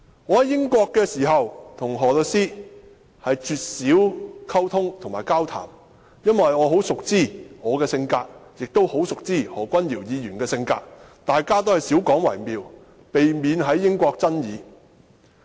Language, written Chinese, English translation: Cantonese, 我在英國時，我與何律師絕少溝通和交談，因為我熟知我的性格和何君堯議員的性格，大家也是少交談為妙，避免在英國出現爭論的情況。, Therefore I turned down the relevant suggestion . When I was in England I rarely communicated or talked with Solicitor HO because I knew my temperament and that of Dr Junius HO well . It was better for us to have less exchange in order to avoid any disputes in the United Kingdom